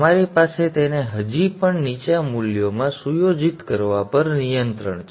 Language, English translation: Gujarati, You have control on setting it to still lower values too